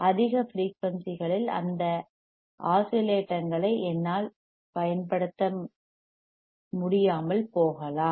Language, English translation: Tamil, I may not; I may not be able to use those oscillators at high frequencyies